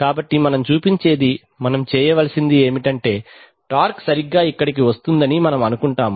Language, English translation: Telugu, So actually what we show, we have to do is that, we have we will assume that the torque will come here right